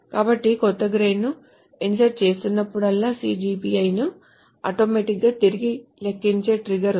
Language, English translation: Telugu, So whenever a new grade is inserted, there is a trigger that will automatically recompute the CGPI